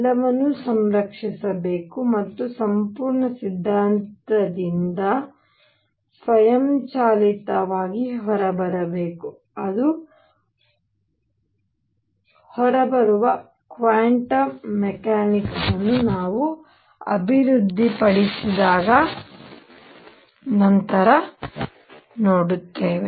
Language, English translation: Kannada, All that should be preserved and should come out automatically from a complete theory, which we will see later when we develop the quantum mechanics that it does come out